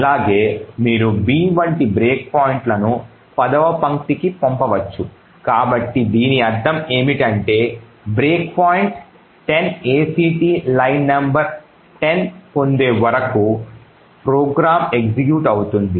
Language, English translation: Telugu, Also, you could send break points such as b to line number 10, so what this means is that the program will execute until the break point 10 act line number 10 is obtained